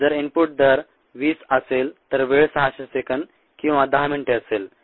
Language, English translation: Marathi, if the input rate is twenty, the time would be six hundred seconds or ten minutes